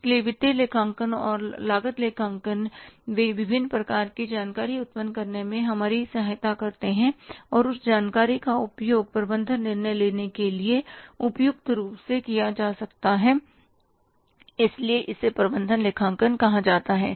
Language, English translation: Hindi, So, financial accounting and cost accounting, they help us to generate different kind of information and that information can be suitably used for the management decision making